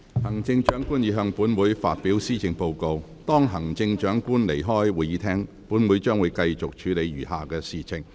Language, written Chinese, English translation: Cantonese, 行政長官已向本會發表施政報告，當行政長官離開會議廳後，本會將繼續處理餘下的事項。, The Chief Executive has delivered the Policy Address to the Council . After the Chief Executive has left the Chamber Council will continue to deal with the remaining business